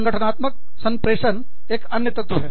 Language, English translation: Hindi, Organizational communication is another one